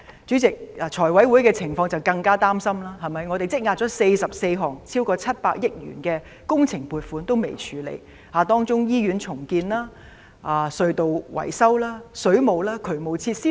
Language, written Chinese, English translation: Cantonese, 主席，財委會的情況更令人擔心，我們已積壓了44項超過700億元的工程撥款尚未處理，當中有醫院重建、隧道維修、水務、渠務設施等。, President the situation of the Finance Committee is even more worrying because funding applications for 44 projects costing over 70 billion have been accumulated pending deliberation . These projects include hospital redevelopment repairs of tunnels water works drainage facilities etc